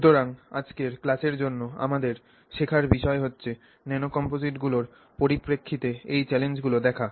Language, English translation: Bengali, So, our learning objectives for today's class are to look at these challenges with respect to nano composites